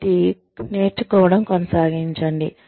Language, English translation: Telugu, So, keep learning